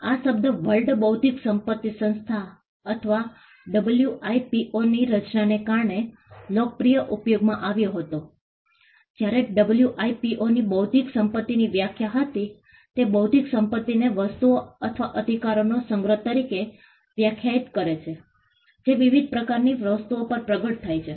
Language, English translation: Gujarati, The term came to popular usage because of the creation of the World Intellectual Property Organization or the WIPO, when it came WIPO had a definition of intellectual property; it defined intellectual property as a collection of things or rights that manifest over different types of things